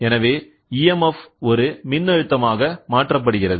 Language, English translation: Tamil, So, EMF converted into voltage, ok